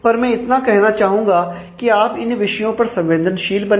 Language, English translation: Hindi, But I just want that you to be sensitive about these issues